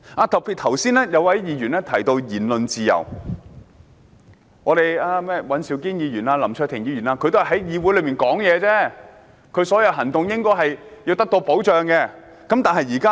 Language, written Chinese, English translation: Cantonese, 剛才有一位議員提到言論自由，說尹兆堅議員和林卓廷議員只是在議會內發言，他們的行動應該得到保障。, Just now a Member mentioned the freedom of speech and said Mr Andrew WAN and Mr LAM Cheuk - ting were merely speaking in the Council so their actions should be protected